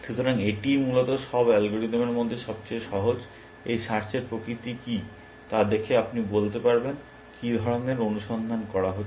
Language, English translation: Bengali, ) So, this is the simplest of all algorithms essentially, what is the nature of this search can you tell you what kind of search is this doing